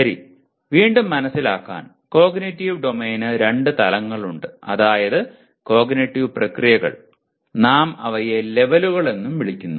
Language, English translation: Malayalam, Okay to recap, cognitive domain has two dimensions namely cognitive processes; we also call them levels